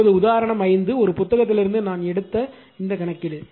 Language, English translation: Tamil, Now, example 5 there this problem I have taken from one book